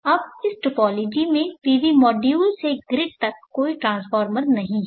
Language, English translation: Hindi, Now this topology does not have any transformer right from the PV module to the grid